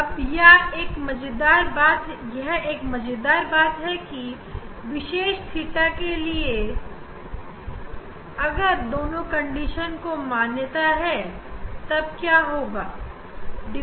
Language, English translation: Hindi, Now, here one interesting thing is that for a particular theta, for a particular theta if what will happen if both condition is satisfied then what will happen